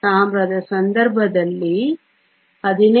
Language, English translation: Kannada, In the case of Copper, 15